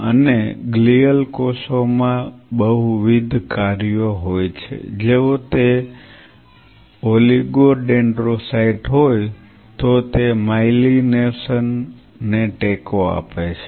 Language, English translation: Gujarati, And glial cells have multiple functions if it if it is an oligodendrocyte, then it supports the myelination